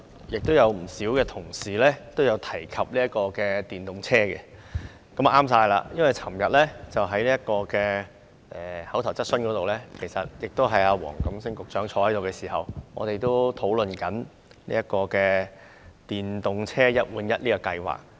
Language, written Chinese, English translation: Cantonese, 有不少同事提及電動車，這真的正好，因為昨天的口頭質詢環節，出席及回應的同樣是黃錦星局長，而我們也曾討論電動車"一換一"計劃。, Many fellow colleagues mentioned electric vehicles . This is really good because at yesterdays oral questions session the official who attended the meeting and responded to Members questions was also Secretary WONG Kam - sing . We also discussed the One - for - One Replacement Scheme for electric vehicles